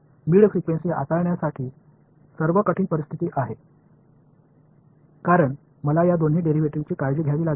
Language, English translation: Marathi, Mid frequency is the most difficult situation to handle because I have to take care of both these derivatives ok